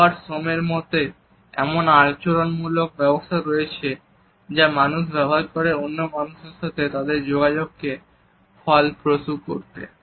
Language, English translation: Bengali, So, there are behavioral mechanisms according to Robert Sommer that people use to optimize their contact with other people